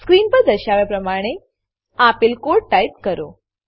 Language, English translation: Gujarati, Type the following piece of code as displayed on the screen